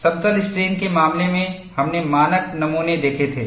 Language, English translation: Hindi, In the case of plane strain, we had seen standard specimens